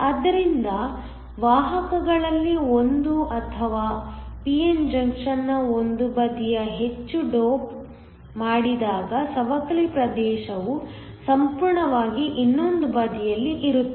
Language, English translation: Kannada, So, when one of the carriers or when one of the sides of a p n junction is heavily doped then the depletion region lies almost entirely on the other side